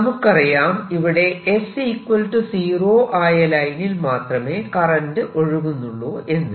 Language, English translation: Malayalam, you see, current is going only at s equals zero